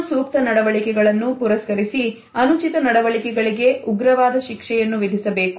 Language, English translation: Kannada, An appropriate behavior is awarded where, as an inappropriate behavior is punished severely